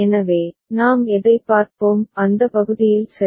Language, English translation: Tamil, So, what we shall look into in that part ok